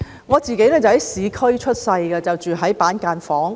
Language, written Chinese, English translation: Cantonese, 我在市區出生，當時住在板間房。, I was born in the urban area and my family was living in a cubicle apartment